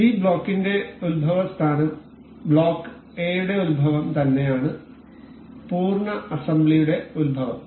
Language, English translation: Malayalam, So, this is the origin for this block block B this is the origin for block A and this is the origin of the complete assembly